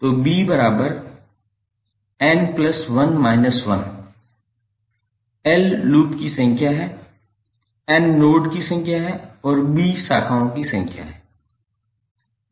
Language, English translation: Hindi, So b is nothing but l plus n minus one, number of loops, n is number of nodes and b is number of branches